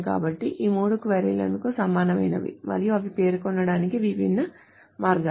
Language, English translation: Telugu, So all these three queries are equivalent that there are different ways of stating